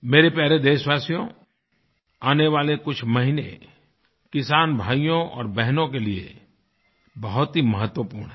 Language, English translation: Hindi, My dear countrymen, the coming months are very crucial for our farming brothers and sisters